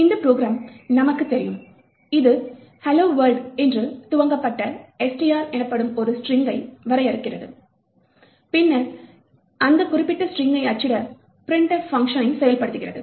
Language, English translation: Tamil, So, as we know this program over here defines a string called which is initialised to hello world, and then invokes the printf function to print that particular string